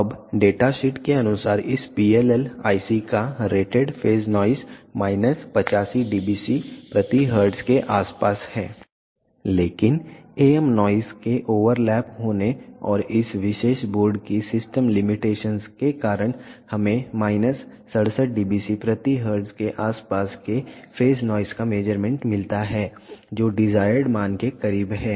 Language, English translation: Hindi, Now, the rated phase noise of this PLL IC according to data sheet is around minus 85 dBc per hertz but due to the overlapping of am noise and the system limitations of this particular board we get the phase noise measurement of around minus 67 dBc per hertz which is close to the desired value